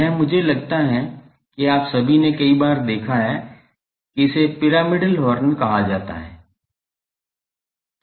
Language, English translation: Hindi, This I think all of you have seen many times that this is called pyramidal horn